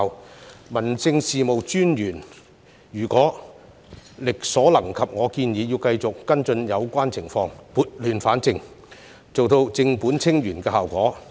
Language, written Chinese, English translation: Cantonese, 我建議，民政事務專員如果力所能及，亦要繼續跟進有關情況，撥亂反正，做到正本清源的效果。, I suggest that District Officers should within their capacities continue to follow up on the relevant situation so as to rectify and resolve the situation at source